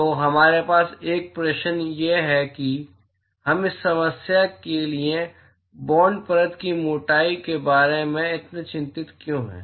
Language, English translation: Hindi, So, we have a question why are we so concerned about bound layer thickness for this problem